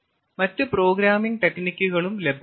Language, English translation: Malayalam, there are other techniques also other programming techniques are available